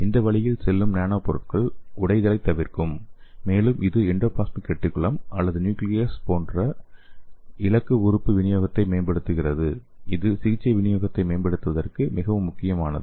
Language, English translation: Tamil, And the nanomaterials taking this way is it will avoid the degradative fate and it will enhance the delivery to a target organelle such as endoplasmic reticulum or the nucleus, so which is very important for improving the therapeutic delivery